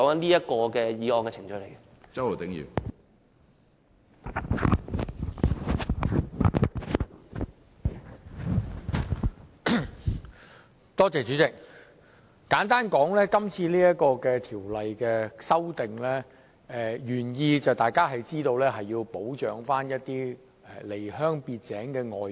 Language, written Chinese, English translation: Cantonese, 主席，簡單而言，大家也知道這項《2017年僱傭條例草案》的原意旨在保障一些離鄉別井的外傭。, To put it simply Chairman we all know that the original intent of the Employment Amendment No . 2 Bill 2017 the Bill seeks to protect some foreign domestic helpers who have left their homeland